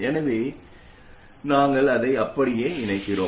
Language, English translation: Tamil, So we connect it up like that